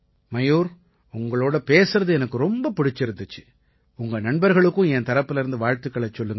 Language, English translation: Tamil, Mayur, I enjoyed talking to you and do congratulate your friends on my behalf…